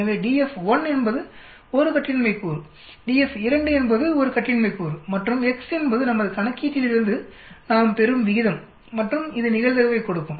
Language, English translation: Tamil, So df 1 is a degrees of freedom, df 2 is the degrees of freedom and x is that ratio which we calculate from our calculation and it will give the probability